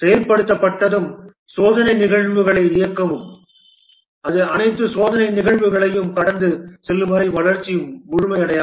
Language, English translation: Tamil, Once implemented run the test cases and the development is not complete until it passes all the test cases